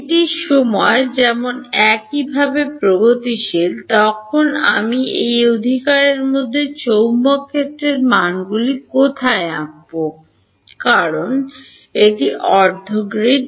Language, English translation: Bengali, This is as time is progressive similarly in where should I draw the magnetic field values in between these right because it is half a grid